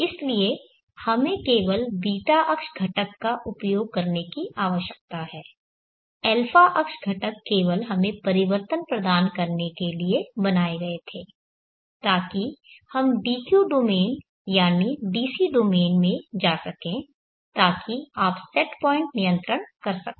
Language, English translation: Hindi, So we need to use only the ß axis components a axis components where created just to provide us the transformation, so that we could go into the dq domain that is the dc domain so that you could so set point control